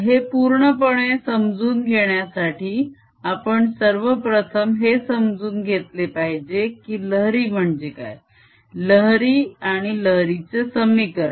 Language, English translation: Marathi, to understand it fully, we should actually first understand what waves are, wave and wave equation